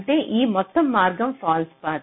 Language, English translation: Telugu, this means this is a false path